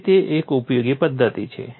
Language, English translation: Gujarati, So, it is a useful methodology